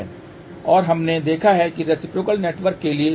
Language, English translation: Hindi, And we have seen that for reciprocal network AD minus BC is equal to 1